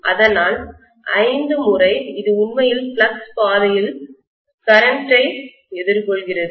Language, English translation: Tamil, So 5 times, it is actually encountering the current along the flux path